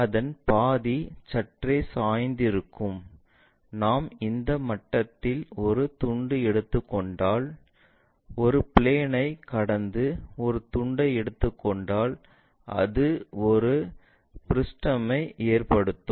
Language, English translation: Tamil, Half perhaps slightly slanted one, if we are taking a slice at this level passing a plane taking a slice of that it makes a frustum